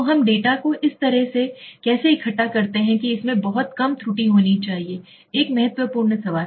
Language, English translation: Hindi, So to how do we collect the data in such a manner that there should be very little error in it, is an important question